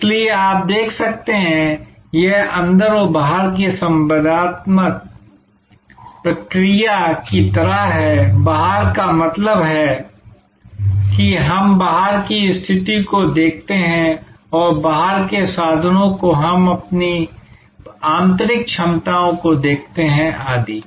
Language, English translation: Hindi, So, you can see therefore, it is kind of an outside in and inside out interactive process, outside in means we look at outside situation and inside out means, we look at our internal competencies, etc